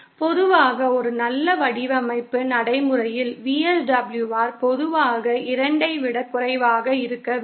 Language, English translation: Tamil, Usually for a good, usually in a good design practice, VSWR should be usually lesser than 2